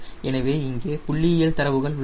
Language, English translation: Tamil, so there are statistical data also will be there